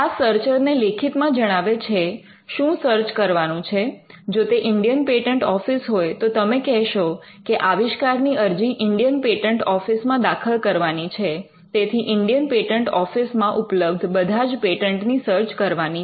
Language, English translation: Gujarati, Now this is done by writing to the searcher stating what needs to be searched, if it is the Indian patent office you would say that this invention is to be filed in the Indian patent office, and you would want to search all the patents in the Indian patent office